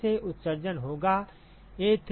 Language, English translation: Hindi, Now the emission from here will be A3J3 right